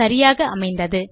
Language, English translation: Tamil, Okay that has been set